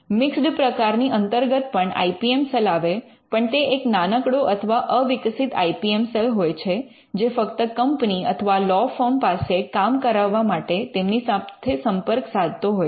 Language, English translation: Gujarati, The mixed variety is the IPM cell is there, but it is a small or a nascent IPM cell and it interacts with a company or a law firm to get the work done